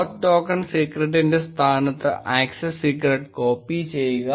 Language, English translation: Malayalam, And copy the access secret in place of the oauth token secret